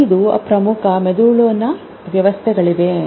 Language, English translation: Kannada, There are five major brain systems